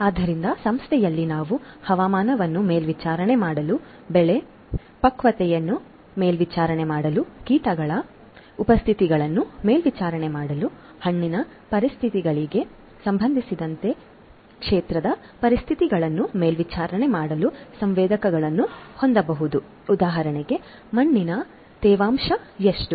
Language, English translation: Kannada, So, on the firm we can have sensors to monitor weather, to monitor the crop maturity, to monitor the presence of insects, to monitor the conditions of the field with respect to the soil conditions for example, how much soil moisture is there in the field, how much is the water level, how much is the fertilizer content of the field, the soil nutrient condition of the field